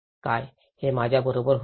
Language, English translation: Marathi, What, will it happen to me